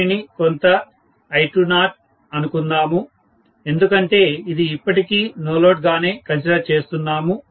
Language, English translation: Telugu, Let me call this as some I20 because it is still considered to be no load, are you getting my point